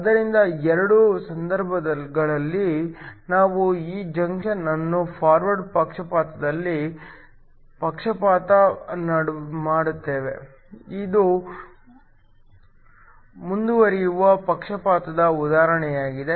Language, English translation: Kannada, So, In both cases, we bias this junction in forward bias; this is an example of a forward bias